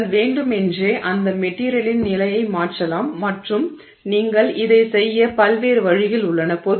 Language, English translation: Tamil, So, you can deliberately change the condition of that material to and there are various ways you can do this